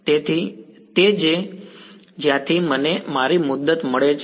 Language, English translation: Gujarati, So, that is where I get my term from